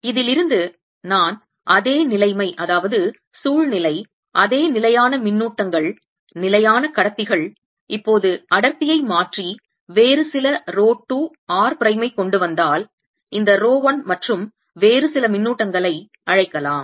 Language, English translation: Tamil, can i calculate for the same situation, same fixed charges, fixed conductors, if i now change the density and bring in some other rho two, r, prime, let's call this rho one and some other charges